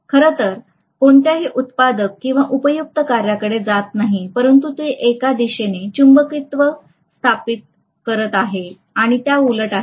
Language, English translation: Marathi, So that is really not going towards any productive or useful work but it is establishing the magnetism in one direction and the reverse repeatedly